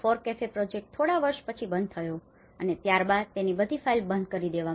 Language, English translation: Gujarati, These FORECAFE the project is closed after a few years, then it completely closed all the files everything